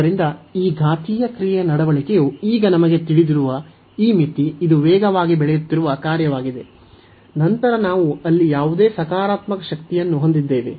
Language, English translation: Kannada, So, now this limit we know already the behavior of these exponential function is this is a is a fast growing function, then x x power whatever positive power we have there